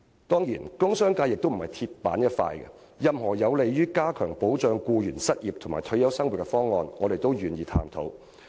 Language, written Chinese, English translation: Cantonese, 當然商界也並非"鐵板一塊"，任何有利於加強保障僱員失業和退休生活的方案，我們均願意探討。, Of course the business sector is not so rigid . We are willing to explore any initiatives that can help enhance workers unemployment and retirement protection